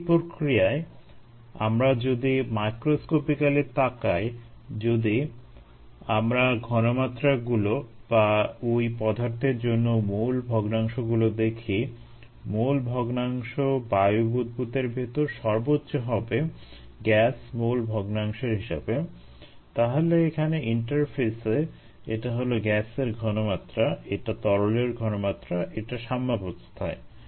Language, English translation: Bengali, in this process, if we look microscopically, microscopically at this process and if we look at the concentrations, or the mole fractions for that matter, the mole fraction is going to be the highest inside the air bubble in terms of a, the gas mole fraction